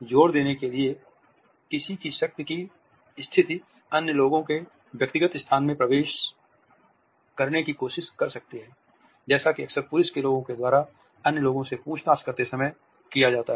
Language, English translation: Hindi, In order to emphasize, one’s the status of power one may try to move into other peoples personal space as it is often done by the police people by people who are interrogating others